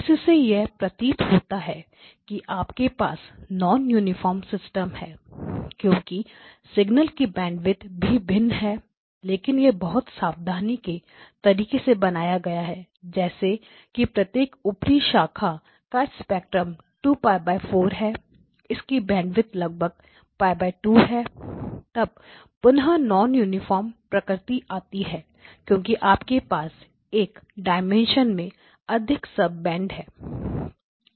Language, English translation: Hindi, Now it looks like you have a non uniform system because the band width of the signals are different, but it has been a constructed in a very careful manner such that each of these upper branches have got spectrum approximately Pi 4 this is 2 Pi by 4 is the bandwidth this one will have approximately Pi by 2 as the bandwidth so again the non uniform nature can come